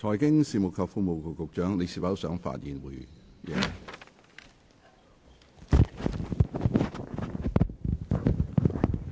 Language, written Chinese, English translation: Cantonese, 財經事務及庫務局局長，你是否想發言？, Secretary for Financial Services and the Treasury do you wish to speak again?